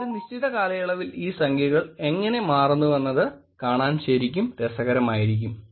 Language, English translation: Malayalam, It would be actually interesting to see how these numbers change over a period time